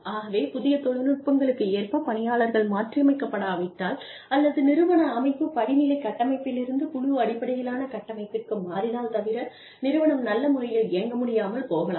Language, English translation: Tamil, So, when we talk about, you know, technology changing, unless the person is adaptable to new technologies, or, if the organizational structure changes, from hierarchical structure, to a team based flatter structure, if the organization is capable, they may not be able to function